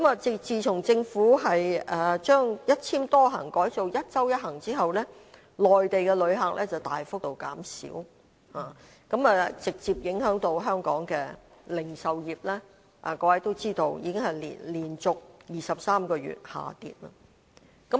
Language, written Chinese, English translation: Cantonese, 自從政府把"一簽多行"改為"一周一行"之後，內地的旅客大幅減少，直接影響香港的零售業，各位都知道這方面的數字已經是連續23個月下跌。, Since the multiple - entry Individual Visit Endorsements are replaced by the one trip per week Individual Visit Endorsements the number of Mainland visitors has dropped significantly directly affecting the retail trade of Hong Kong . As Members may know the relevant figures have dropped continuously for 23 months